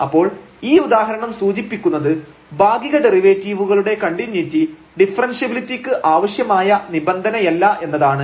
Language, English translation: Malayalam, So, this remark the above example shows that the continuity of partial derivatives is not in necessary condition for differentiability